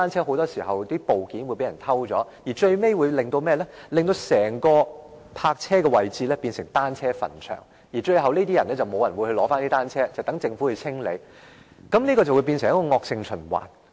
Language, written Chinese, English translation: Cantonese, 很多時候，停放在那裏的單車的部件會被偷走，令泊車位最終淪為單車墳場，最後沒有人取回單車，只有留待政府清理，繼而演變成一個惡性循環。, More often than not parts of bicycles parked there will be stolen and these parking spaces have eventually deteriorated into graves for bicycles . Since no one will collect those broken bicycles the Government has to clean up the mess . This vicious cycle continues